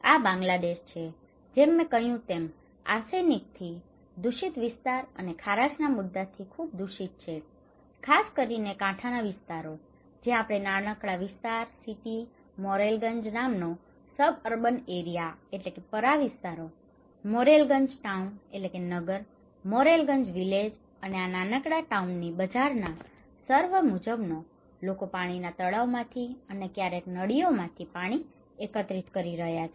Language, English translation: Gujarati, This is Bangladesh, as I said is highly contaminated by arsenic especially, the coastal areas and also water salinity issue and we conducted the survey in a small area, city, suburban areas called Morrelganj; Morrelganj town and Morrelganj villages and this is the bazaar area of this small town, people are collecting water from water pond and also from tube wells sometimes